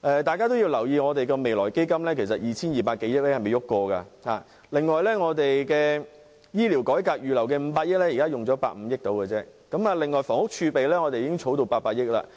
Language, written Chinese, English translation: Cantonese, 大家也要留意，未來基金的 2,200 多億元其實並未動用分毫；另外，醫療改革預留的500億元現時只花了大約150億元而已；房屋儲備金亦已滾存至800億元。, It should also be noted that the 220 billion in the Future Fund has yet to be touched and only 15 billion has been expended out of the 50 billion set aside for medical reform . The Housing Reserve has also snowballed to 80 billion